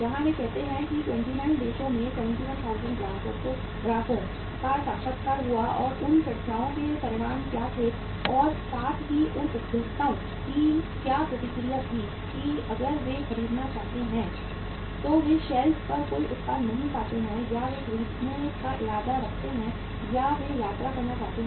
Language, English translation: Hindi, Where they uh say interviewed 71,000 customers across 29 countries and what were the outcomes of those discussions as well as what was the reaction of those consumers that if they find no product on the shelf when they want to buy or they intend to buy or they visit the store to buy the product